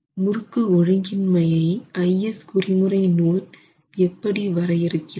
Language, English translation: Tamil, So, torsional irregularity, how does the IS code define